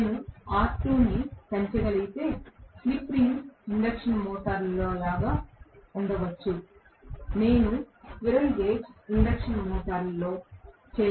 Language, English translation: Telugu, If I am able to increase R2, may be like in a slip ring induction motor, which I cannot do in a squirrel cage induction motor